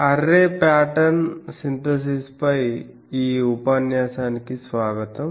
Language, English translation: Telugu, Welcome to this lecture on Array Pattern Synthesis